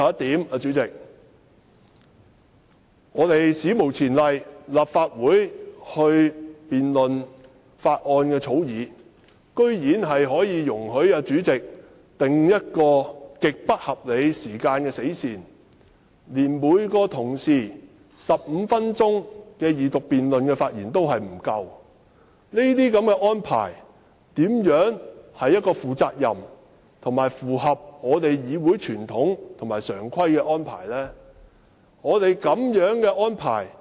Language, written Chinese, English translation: Cantonese, 代理主席，最後，立法會就這項《條例草案》進行辯論，主席居然史無前例地訂了極不合理的死線，令每位同事在二讀辯論時的發言時間根本不足15分鐘，這是負責任及符合議會傳統和常規的安排嗎？, Deputy President last but not least the President has unprecedentedly set an utterly unreasonable deadline for the debate of this Bill in the Council thereby reducing the speaking time of each colleague during the Second Reading debate to less than 15 minutes . Is this a responsible arrangement that complies with the established practices and conventional arrangements of this Council?